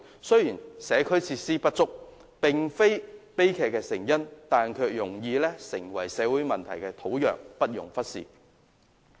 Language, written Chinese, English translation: Cantonese, 雖然社區設施不足並非悲劇的成因，但卻容易成為社會問題的土壤，不容忽視。, Although the inadequacy of community facilities is not the cause of the tragedy it may sow the seeds of social problems and thus should not be ignored